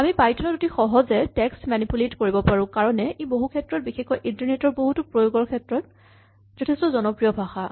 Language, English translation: Assamese, And the ease in which you can manipulate text in python is one of the reasons why it has become a very popular language to program many things including internet applications